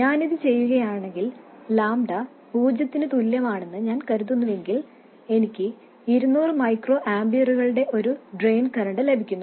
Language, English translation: Malayalam, If I do this, I know that if I assume lambda equal to 0, I get a drain current of 200 microamperors